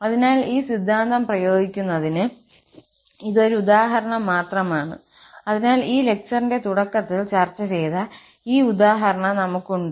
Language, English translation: Malayalam, So, this is just an example to apply this theorem, so, we have for instance this example, which was discussed at the beginning of this lecture